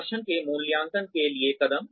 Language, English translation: Hindi, Steps for appraising performance